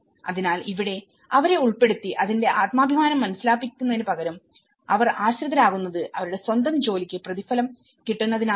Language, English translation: Malayalam, So, here, instead of making them involved and realize the self esteem character of it, here, they have become dependent because they are getting paid for that own work